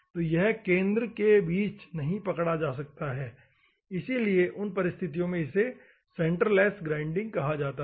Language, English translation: Hindi, So, it cannot be between the centre so, in those circumstances, it is called centreless grinding